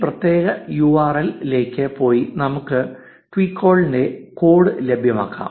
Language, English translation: Malayalam, Go to this particular URL and let us fetch the code of twecoll